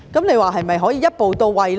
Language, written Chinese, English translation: Cantonese, 那麼是否可以一步到位呢？, Then can it achieve the goal in one step?